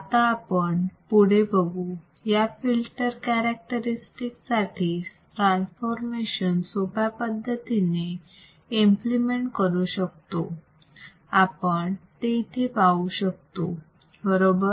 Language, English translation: Marathi, The transformation of this filter characteristics can be easily implemented as we can see here right